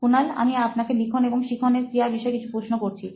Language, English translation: Bengali, Kunal, just a few questions on your writing and learning activity